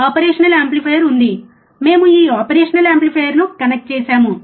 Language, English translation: Telugu, And there are there is a operational amplifier, we have connected this operational amplifier